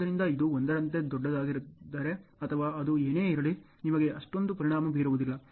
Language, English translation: Kannada, So this if it is this is greater like 1 or whatever it is, you will not have that much of an impact ok